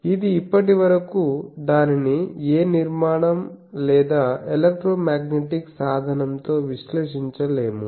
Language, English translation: Telugu, It cannot be at presence till now cannot be analyzed with any structure electromagnetic tool